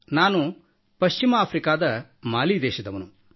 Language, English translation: Kannada, I am from Mali, a country in West Africa